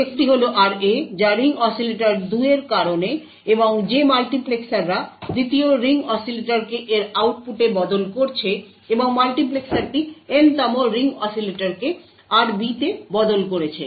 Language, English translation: Bengali, One is this RA is due to this ring oscillator 2, and the multiplexers which has switched 2nd ring oscillator into its output and this multiplexer has switched the Nth ring oscillator to RB